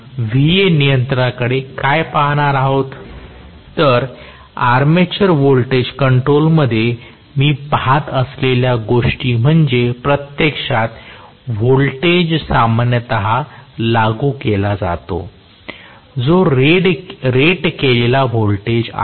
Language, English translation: Marathi, So, in armature voltage control, what I am looking at is actually, I am going to have basically the voltage is normally applied, which is the rated voltage